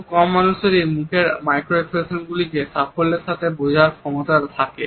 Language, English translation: Bengali, Very few people have the capability to successfully comprehend micro expressions on a face